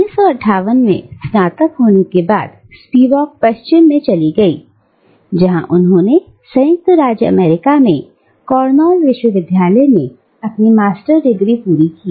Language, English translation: Hindi, After graduating in 1959, Spivak moved to the West, where she completed her Master’s degree at Cornell university in the United States of America